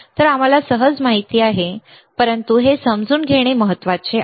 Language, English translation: Marathi, So, easy we know, but even you know it is important to understand, all right